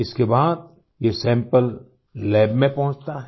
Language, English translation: Hindi, After that the sample reaches the lab